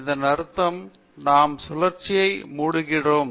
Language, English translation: Tamil, Reverse process, so that means, we are closing the cycle